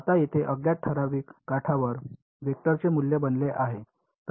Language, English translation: Marathi, Now the unknown over here becomes the value of a vector along a certain edge ok